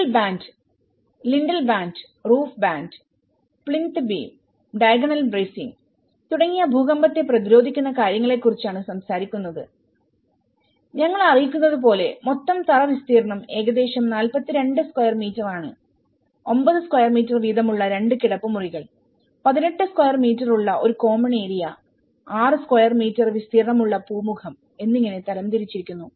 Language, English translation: Malayalam, The sill band, the lintel band, the roof band and the plinth beam and the diagonal bracing all these things they are talking about the earthquake resistant futures and as we inform the gross floor area is about 42 square meters divided into 2 bedrooms 9 square meter each and a common area of 18 square meter and a porch of 6 square meter